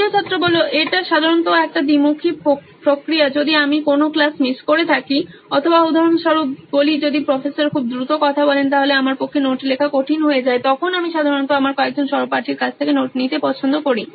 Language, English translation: Bengali, It is generally a two way process if I have missed a class or say for example if Professor speaks too fast then it is difficult for me to take down notes then I generally prefer taking notes from few of my classmates